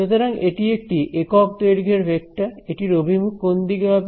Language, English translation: Bengali, So, that is a vector of unit length pointing in which direction